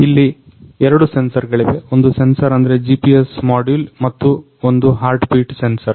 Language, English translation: Kannada, And there are two sensors; one sensor is GPS module and the one is heartbeat sensor